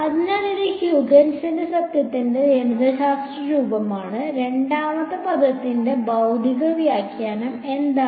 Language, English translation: Malayalam, So, this is the mathematical form of Huygens principal, what is the physical interpretation of the second term